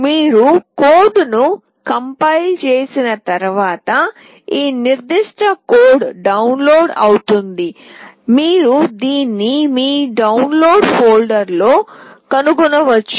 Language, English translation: Telugu, Once you compile the code this particular code gets downloaded, you can find this in your download folder